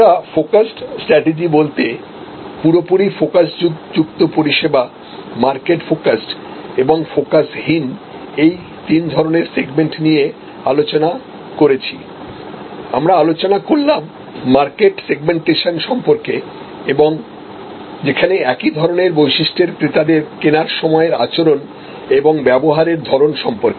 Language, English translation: Bengali, So, as we discussed to summarise focused strategy fully focused service, market focused and unfocused we discuss these segments we discussed about market segmentation and where buyers of common characteristics needs purchasing behaviour and consumption pattern